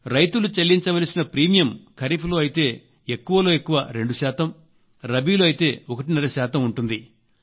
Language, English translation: Telugu, In the new insurance scheme for the farmers, the maximum limit of premium would be 2 percent for kharif and 1